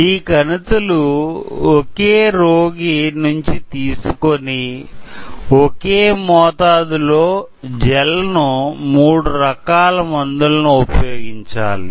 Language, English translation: Telugu, These tumors are from the same patient and gel, we use same quantity of gel and when we load three different drugs